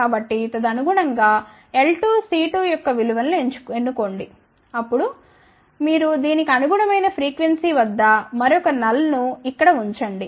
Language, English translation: Telugu, So, correspondingly choose the value of L 2, C 2 then you put a another null at frequency corresponding to this here